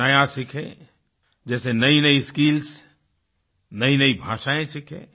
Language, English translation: Hindi, Keep learning something new, such as newer skills and languages